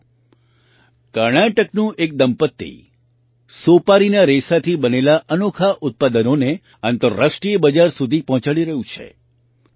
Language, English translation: Gujarati, Friends, a couple from Karnataka is sending many unique products made from betelnut fiber to the international market